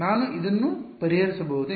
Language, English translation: Kannada, Can I solve it